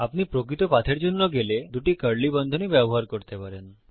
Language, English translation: Bengali, If you are going for the True path, you can use two curly brackets